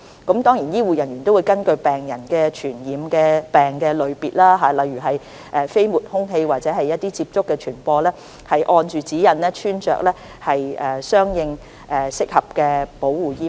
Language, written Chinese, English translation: Cantonese, 此外，醫護人員亦會根據病人的傳染病類別，例如飛沫、空氣或接觸傳播，按指引穿着適當的保護衣物。, Moreover health care staff will as required by the guidelines put on suitable PPE depending on the type of infectious disease that the patient has including whether it can be transmitted by droplets is airborne or can be transmitted by contact